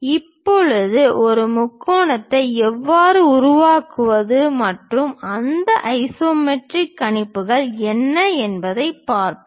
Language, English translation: Tamil, Now, let us look at how to construct a triangle and what are those isometric projections